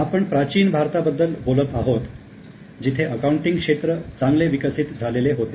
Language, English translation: Marathi, This is about the ancient India where the accounting was really well developed